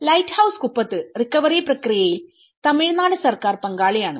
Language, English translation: Malayalam, In Lighthouse Kuppam, Tamil Nadu Government is involved in it in the recovery process